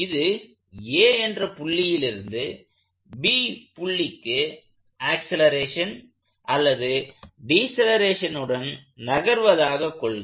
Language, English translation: Tamil, But, as it is translating from a point a to point b in accelerating decelerating sense